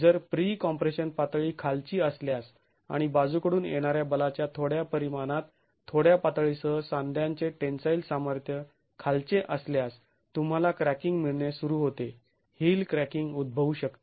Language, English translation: Marathi, If the pre compression level is low and the tensile strength of the joint is low with a little level of little magnitude of lateral force you can start getting cracking, heel cracking can occur